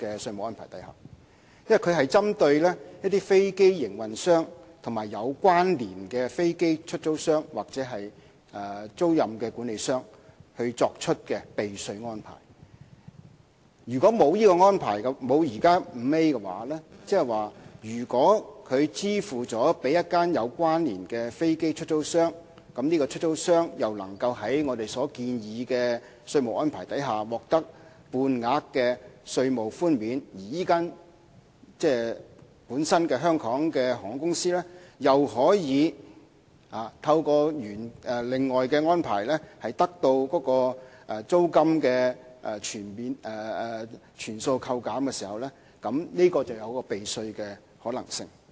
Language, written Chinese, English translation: Cantonese, 因為它是針對飛機營運商及有關連的飛機出租商或租賃管理商作出的避稅安排，如果沒有第 5A 條，即是說如果它支付給一間有關連的飛機出租商後，如果該出租商又可以在我們建議的稅務安排下獲得半額稅務寬免，而這間香港航空公司本身又可以透過其他安排，得到租金全數扣減，當中就會出現避稅的可能性。, Since we are talking about tax avoidance arrangements made for aircraft operators and connected aircraft lessors or leasing managers in the absence of clause 5A tax avoidance will become possible if the sum concerned is paid to a connected aircraft lessor the lessor is eligible for the half rate concession under the proposed tax regime and the airline company concerned in Hong Kong can enjoy a waiver of the total lease payment through other arrangements